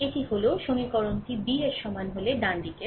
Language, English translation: Bengali, So, this equation it can be written as AX is equal to B